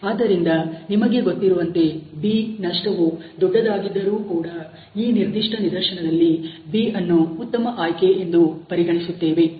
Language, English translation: Kannada, So, that even probably you know that although the loss of B is higher we would still B, a better choice a in this particular case